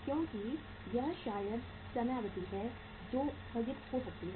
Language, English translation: Hindi, Because uh it maybe the time period which may defer